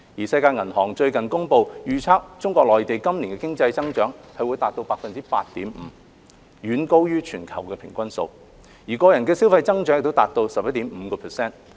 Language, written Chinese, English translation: Cantonese, 世界銀行最近公布，預測中國內地今年經濟增長達 8.5%， 遠高於全球的平均數，個人消費的增長亦達到 11.5%。, As recently announced by the World Bank the economic growth of the Mainland of China this year is predicted to be 8.5 % which is significantly higher than the global average; the growth in individual consumption also reaches 11.5 %